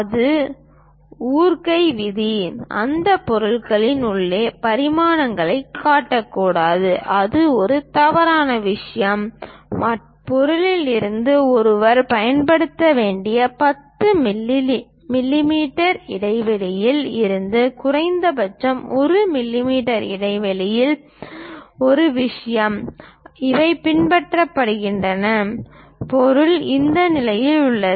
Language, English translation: Tamil, The rule it is breaking, one should not show dimensions inside of that object that is a wrong thing and minimum 1 millimeter gap from the ah 10 millimeter gap one has to use from the object, in this case these are followed because object is in this level